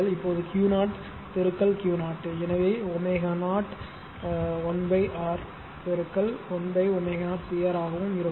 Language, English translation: Tamil, Now Q 0 into Q 0 that is Q 0 into Q 0 then omega 0 l upon R into 1 upon omega 0 CR